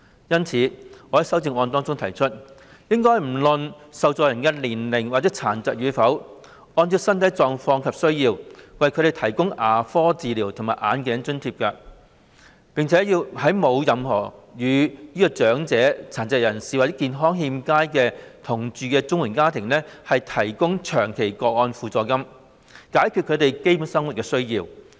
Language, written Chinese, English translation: Cantonese, 因此，我在修正案內提出，"不論年齡及殘疾與否，按照綜援申領人的身體狀況及需要，為他們提供牙科治療及眼鏡費用津貼"；並要"為沒有與長者、殘疾人士或健康欠佳者同住......"的綜援家庭"......提供長期個案補助金"，以解決他們的基本生活需要。, For this reason I have proposed in my amendment the provision of grants to CSSA recipients irrespective of age and disability for covering costs of dental treatment and glasses having regard to their physical conditions and needs; and long - term supplement for families who are not living with the elderly the disabled or ill - health and have been in receipt of CSSA so as to meet their basic needs